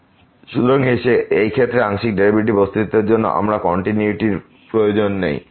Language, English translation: Bengali, So, we do not need continuity to for the existence of partial derivative in this case